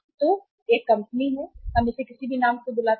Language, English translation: Hindi, So there is a company, we call it under any name